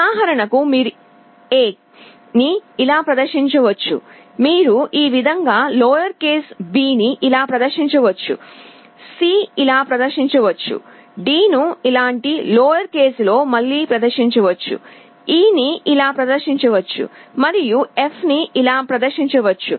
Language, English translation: Telugu, For example, you can display A like this, you can display b in lower case like this, C can be display like this, d can be displayed again in lower case like this, E can be displayed like this, and F can be displayed like this